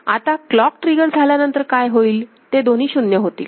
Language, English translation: Marathi, So, it will after clock trigger what will happen, so both of them will get 0